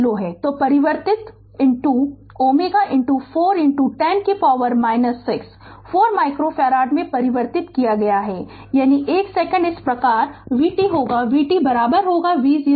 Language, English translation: Hindi, So, converted into ohm into 4 into 10 to the power minus 6, 4 micro farad so, that is 1 second thus the expression for v t is we know V t is equal to V 0 e to the power minus t upon tau